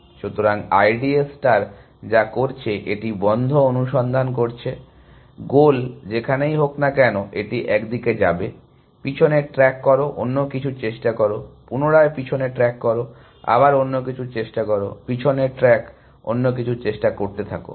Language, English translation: Bengali, So, what I D A star is doing, it is doing blind search, wherever the goal is it will go of in one direction, back track, try something else, back track, try something else, back track, try something else and so on